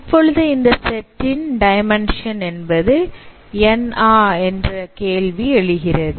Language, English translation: Tamil, Now does it mean the dimension of the set S is also n